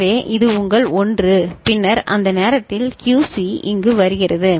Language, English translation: Tamil, So, this is your 1 and then at that time QC is coming over here